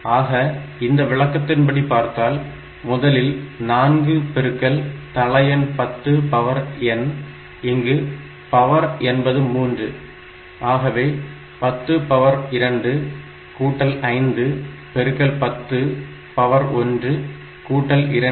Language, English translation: Tamil, So, it is 4 into base is 10 10 to the power of here value of n is equal to 3, so 10 to the power of 2 plus 5 into 10 to the power of 1 plus 2